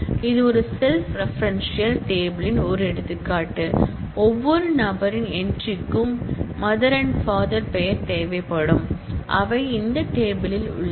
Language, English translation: Tamil, This is an example of a self referential table which of persons which where every person’s entry needs the name of the mother and the father which are also entries in this table